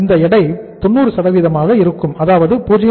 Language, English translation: Tamil, This weight will be 90%